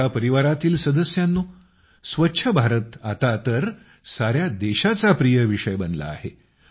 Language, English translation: Marathi, My family members, 'Swachh Bharat' has now become a favorite topic of the entire country